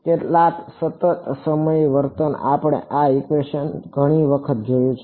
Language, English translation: Gujarati, Some constant times the current we have seen this equation many time